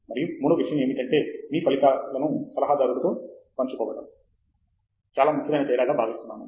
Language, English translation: Telugu, And, I think the third thing is sharing your results with the advisor makes a big difference